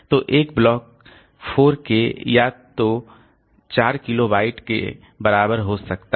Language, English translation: Hindi, So, one block may be equal to say 4K or so, 4 kilobyte of data